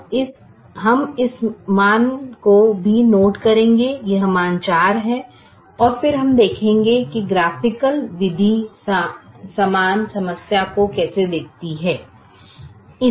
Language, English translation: Hindi, this value is four and then we will see how the graphical method looks at the same problem